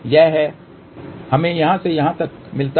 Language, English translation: Hindi, So, this is what we get from here to here